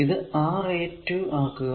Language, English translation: Malayalam, Divide this one by R 1